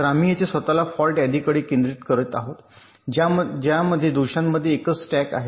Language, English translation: Marathi, so here we are, concentrating ourselves to ah fault list that consists of single stack at faults